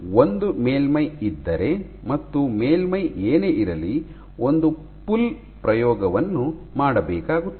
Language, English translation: Kannada, So, if you have a surface whatever be the surface, you do one pull experiment